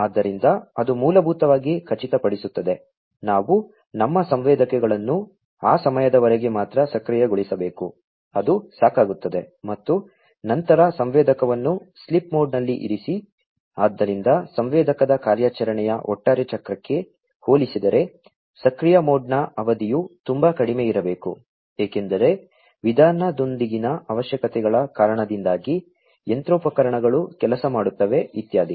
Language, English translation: Kannada, So, which basically will ensure that, we need to make our sensors active for only that duration of time, which is sufficient and thereafter put the sensor in the sleep mode; so the duration for the active mode will have to be much less compared to the overall cycle of the operation of the sensor, because of the requirements with the way, the machineries are going to work etcetera